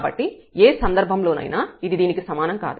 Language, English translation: Telugu, So, in any case this is not equal to this one